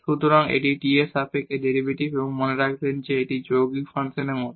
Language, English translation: Bengali, So, this is derivative with respect to t and remember this is like composite function